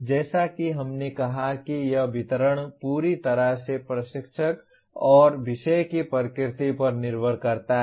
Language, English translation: Hindi, As we said this distribution completely depends on the instructor as well as the nature of the subject